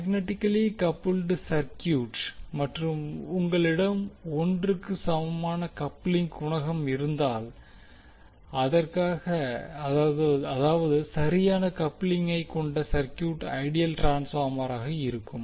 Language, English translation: Tamil, So it means that if you have the magnetically coupled circuit and you have the coupling coefficient equal to one that means the circuit which has perfect coupling will be the ideal transformer